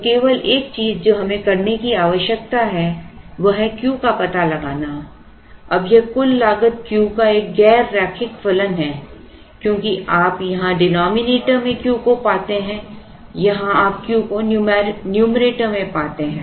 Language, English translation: Hindi, So, only thing that we need to do is to find out Q, now this total cost is a non linear function of Q because you find Q in the denominator here you find Q in the numerator here